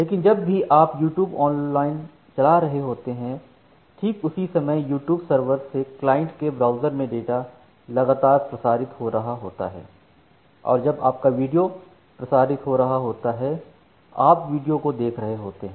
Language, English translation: Hindi, But whenever you are playing it online over say YouTube, during that time from the YouTube server to your client which is running at your browser, the video data is getting transmitted continuously, and by the time this video data is getting transmitted, during the same time you are playing the video